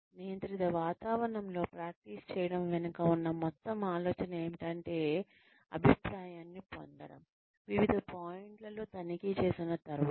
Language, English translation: Telugu, The whole idea behind practicing in a controlled environment, is to get feedback, is to be checked at different points